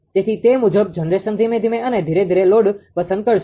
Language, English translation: Gujarati, So, accordingly generation slowly and slowly will pick up the load